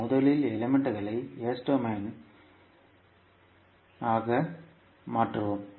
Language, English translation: Tamil, So, how we can transform the three elements into the s domain